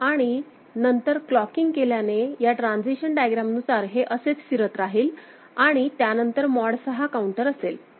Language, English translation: Marathi, And then with clocking, it will keep circulating like this as per this state transition diagram and mod 6 counter will be there, after that